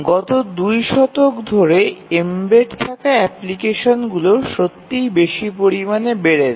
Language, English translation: Bengali, For last two decades or so, the embedded applications have really increased to a great extent